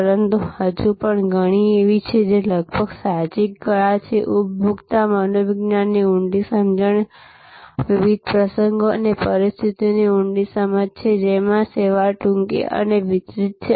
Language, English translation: Gujarati, But, there are several still, which almost is intuitive art, deep understanding of the consumer psychology, deep understanding of the different occasions and situations in which service is short and delivered